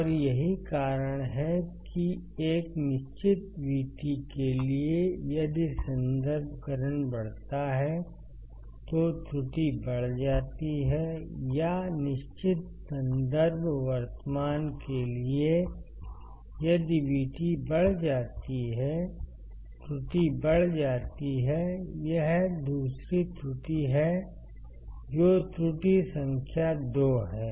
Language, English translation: Hindi, And that is why for a fixed V T if reference current increases, error increases or for fixed reference current if V T increases error increases, that is the second error that is the error number 2